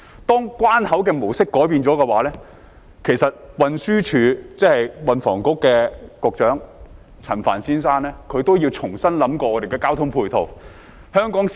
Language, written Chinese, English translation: Cantonese, 當關口的模式改變了，其實運輸及房屋局局長陳帆先生也要重新考慮交通配套。, When the mode of operation of the boundary crossing has changed it is imperative for the Secretary for Transport and Housing Mr Frank CHAN to take a fresh look at the transport facilities